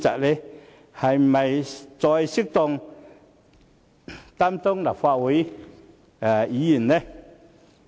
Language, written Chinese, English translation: Cantonese, 是否再適合擔任立法會議員？, Is he still suitable to be a Member of the Legislative Council?